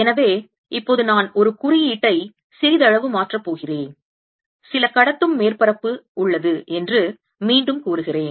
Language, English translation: Tamil, so now i am going to change notation a bit and let me again say there's some conducting surface